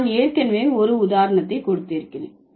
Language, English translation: Tamil, So, I have already given you the example